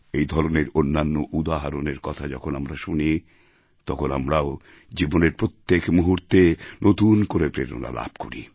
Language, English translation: Bengali, When we come to know of such examples, we too feel inspired every moment of our life